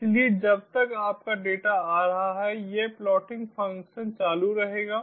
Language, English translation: Hindi, so as long as your data is incoming, this plotting function will keep on going